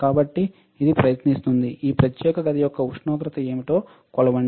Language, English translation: Telugu, So, it will try to measure what is the temperature of the this particular room